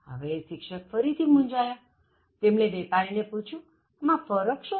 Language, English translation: Gujarati, Now this again puzzled the teacher and then the teacher asked the vendor: so what is the difference